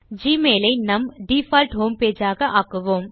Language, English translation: Tamil, Let us learn how to set Gmail as our default home page